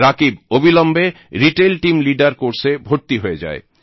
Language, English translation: Bengali, Rakib immediately enrolled himself in the Retail Team Leader course